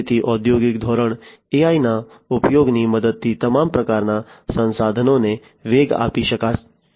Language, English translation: Gujarati, So, all kinds of resources could be boosted up, with the help of use of AI in the industrial scale